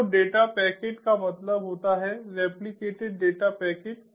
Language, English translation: Hindi, so the data packet means the replicated data packets